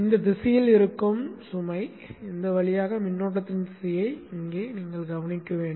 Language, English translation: Tamil, Notice the current flow direction here through the load which is in this direction